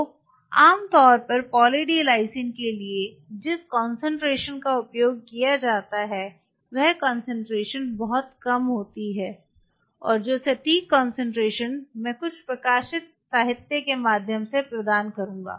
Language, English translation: Hindi, So, the concentration is generally used for Poly D Lysine is fairly low concentration and the exact concentration I will provide through few publish literature it has to be on a lower side